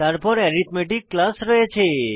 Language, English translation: Bengali, Then we have class arithmetic